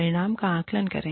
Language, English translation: Hindi, Assess the outcome